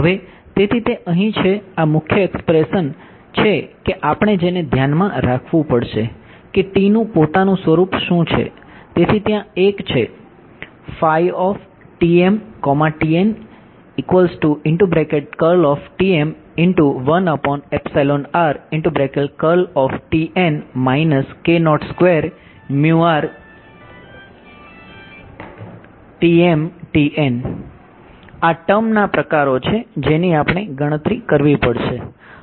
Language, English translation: Gujarati, Now, yeah so here is the other this is the main expression that we have to keep in mind what is the form of T itself